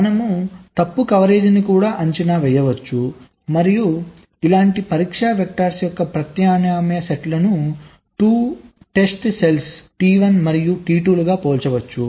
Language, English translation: Telugu, so and also you can evaluate fault coverage and you can compare alternate sets of test vectors, like you have, say, two test cells, t one and t two